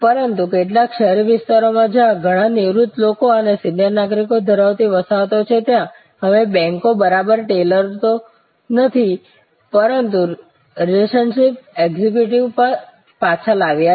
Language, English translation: Gujarati, But, in some urban areas, where there are colonies having lot of retired people and for seiner citizens, now the banks have brought back not exactly tellers, but more like relationship executives